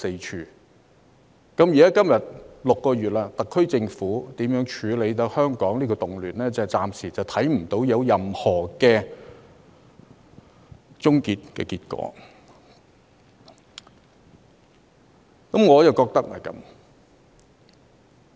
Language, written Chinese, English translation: Cantonese, 時至今天，已經過了6個月，特區政府處理香港動亂的手法，暫時似乎仍沒有任何平息的跡象，我深感不以為然。, Six months have passed but the HKSAR Governments handling of the riots in Hong Kong seems to have not worked as there have been no signs of subsiding at the moment . I strongly disapprove of it